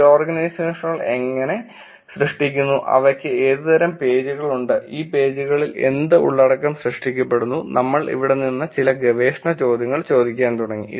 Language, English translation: Malayalam, And we looked at initially how these organizations create, what kind of pages do they have, and what content are getting generated on this pages, from there we went on to ask some research questions are on that